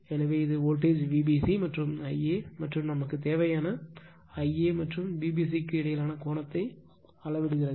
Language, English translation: Tamil, So, it measures the voltage V b c and the I a and the angle between the I a and V b c that we need